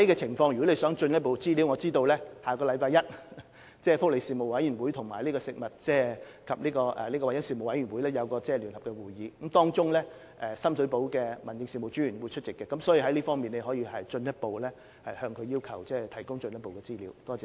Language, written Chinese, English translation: Cantonese, 如果議員想進一步就具體情況取得資料，據我所知，福利事務委員會及食物安全及環境衞生事務委員會將在下星期一舉行聯席會議，屆時深水埗民政事務專員將會出席，議員可在該場合要求提供進一步資料。, If the Member needs further information on the specific details I am aware that the District Officer Sham Shui Po will attend a joint meeting to be held by the Panel on Welfare Services and the Panel on Food Safety and Environmental Hygiene next Monday . The Member can seek further information on that occasion